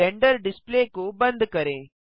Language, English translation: Hindi, Close the Render Display